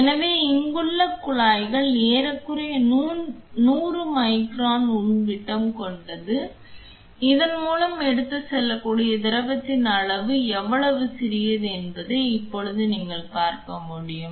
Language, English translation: Tamil, So, the tubing here is almost 100 micron inner diameter, now you could now that you could see what how small the inner diameter is the volume of fluid that can be carried through this is also very very small